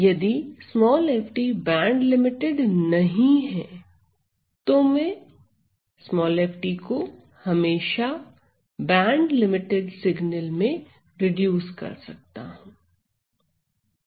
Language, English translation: Hindi, So, f t, if f t is not band limited, I can always reduce f t to a band limited signal, how